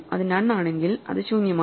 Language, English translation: Malayalam, If it is none, it is empty